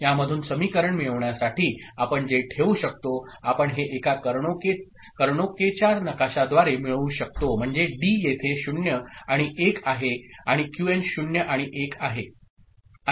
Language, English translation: Marathi, to get a equation out of this what we can put, we can get a get it through a Karnaugh map I mean simply, so D is over here that is 0 and 1, and Qn is 0 and 1